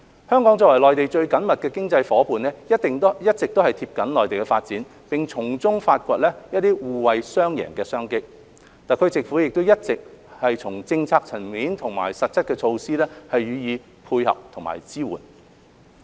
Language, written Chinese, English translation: Cantonese, 香港作為內地最緊密的經濟夥伴，一直緊貼內地的發展並從中發掘互惠雙贏的商機，特區政府也一直從政策層面和實質措施上予以配合和支援。, Being the closest economic partner of the Mainland Hong Kong has been closely following the development of the Mainland and exploring win - win business opportunities therein . Also the SAR Government has been providing support and assistance through concrete measures at the policy level